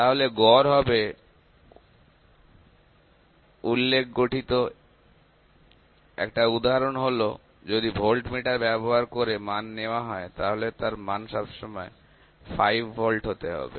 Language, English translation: Bengali, So, average would be reference consists; one instance if you are taking some reading using voltmeter and reading has to be 5 volt all the time